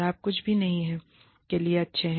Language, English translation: Hindi, You are good for nothing